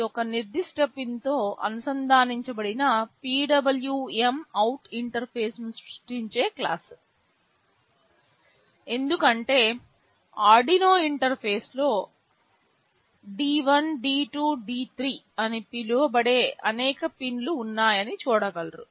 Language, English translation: Telugu, This is the class which will be creating a PwmOut interface connected with a specified pin, because on the Arduino interface will be seeing there are many pins which are called D1, D2, D3, etc